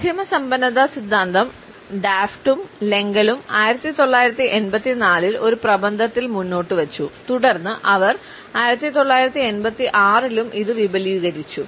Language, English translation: Malayalam, The media richness theory was proposed by Daft and Lengel in a paper in 1984 and then they further extended it in 1986